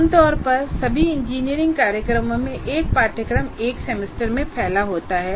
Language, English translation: Hindi, That will be quite different from normally in all engineering programs, a course is spread over one semester